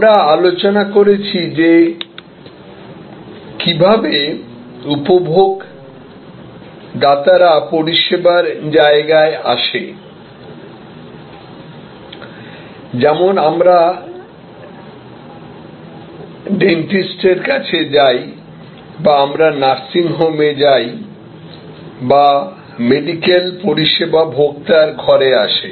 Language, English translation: Bengali, We have discussed how in services, consumers come to the service location like we go to the dentist or we go to a nursing home or the medical service can come to the consumer at home